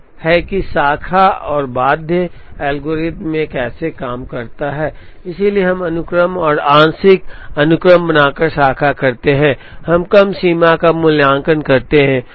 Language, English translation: Hindi, So, this is how the Branch and Bound algorithm works, so we branch by creating sequences and partial sequences, we evaluate lower bounds